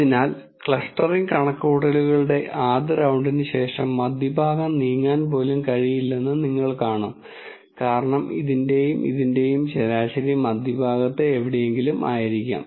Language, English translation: Malayalam, So, after the first round of the clustering calculations, you will see that the center might not even move because the mean of this and this might be some where in the center